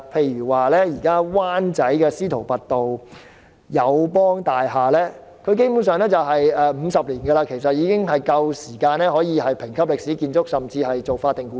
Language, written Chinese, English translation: Cantonese, 以灣仔司徒拔道的友邦大廈為例，大廈落成50年，基本上已可獲評級為歷史建築甚至是法定古蹟。, Take the AIA Building in Wanchai as an example . The building was completed 50 years ago . Basically it can be graded as a historical building or declared monument